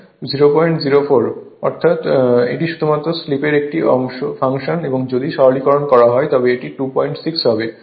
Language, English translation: Bengali, So, it is a function of slip only and if you simplify it will be 2